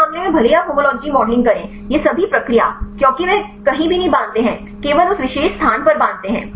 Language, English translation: Hindi, In this case even if you to homology modeling; all these process, because they do not bind anywhere they bind only that particular place